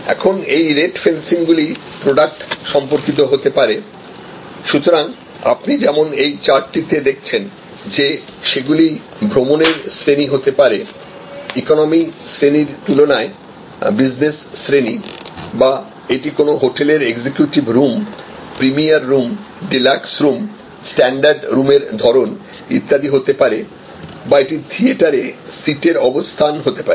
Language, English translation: Bengali, Now, this rate fences can be product related, so as you see on this chart that they can be like class of travel, business class versus economic class or it could be the type of room executing room, premier room, deluxe room, standard room etc in a hotel or it could be seat location in a theater